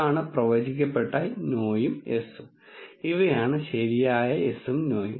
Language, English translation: Malayalam, This is the predicted no and yes and these are the true no and yes